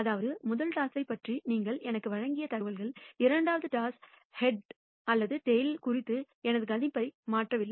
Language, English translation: Tamil, That means, information you provide me about the first toss has not changed my predictability of head or tail in the second toss